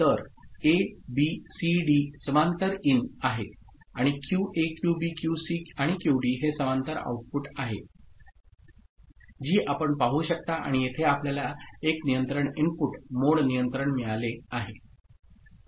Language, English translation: Marathi, So, A, B, C, D is the parallel in and QA, QB, QC, the QD are the parallel output that you can see and here you have got one control input, mode control ok